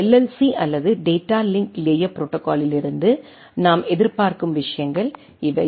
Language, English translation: Tamil, So, these are the things what we expect from the data LLC or the data link layer protocol